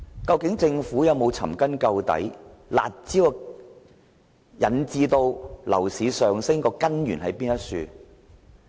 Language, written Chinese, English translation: Cantonese, 究竟政府有否尋根究底，"辣招"導致樓價上升的根源為何？, Has the Government inquired deeply into the problem to find out why the curb measures have pushed up property prices?